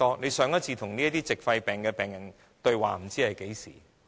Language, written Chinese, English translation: Cantonese, 局長上次與這些矽肺病患者對話是在何時？, When did the Secretary last speak to these pneumoconiosis patients?